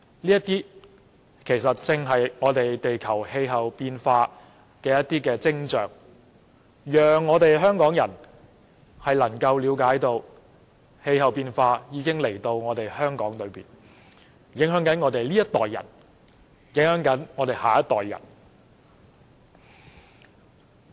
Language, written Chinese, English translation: Cantonese, 這些其實正是地球氣候變化的徵象，讓香港人了解到氣候變化的問題已於香港出現，影響我們這一代及下一代。, This is precisely a sign of global climate change which makes Hongkongers realize that the problem of climate change has appeared in Hong Kong affecting our generation and the next